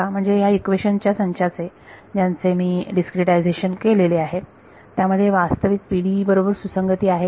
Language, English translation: Marathi, Means this system of equations, which is I have discretized, is it consistent with the actual PDEs